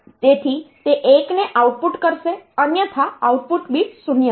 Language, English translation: Gujarati, So, it will output a 1 otherwise the output bit is 0